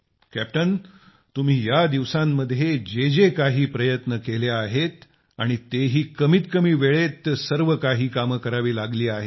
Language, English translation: Marathi, Captain the efforts that you made these days… that too you had to do in very short time…How have you been placed these days